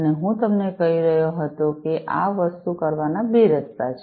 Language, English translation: Gujarati, And as I was telling you that there are two ways of doing this thing